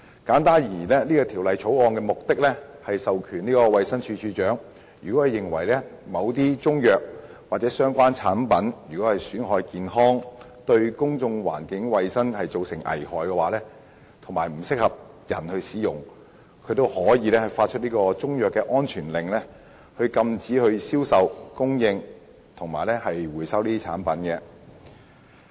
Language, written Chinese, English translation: Cantonese, 簡單而言，《條例草案》的目的是賦權衞生署署長，若認為某些中成藥或相關產品損害健康，對公眾環境衞生造成危害，以及不適合人體服用，就可以發出中藥安全令，禁止銷售及供應該等產品及回收該等產品。, In short the objective of the Bill is to confer power on the Director of Health to make a Chinese medicine safety order to prohibit the sale and supply of and recall proprietary Chinese medicines or related products which he considers injurious to health dangerous to public hygiene and health and unfit for human consumption